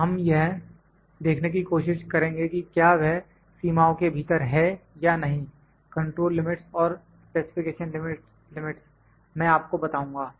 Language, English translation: Hindi, We will try to see that within whether those are within the limits or not, the two limits control limits and specification limits, I will tell you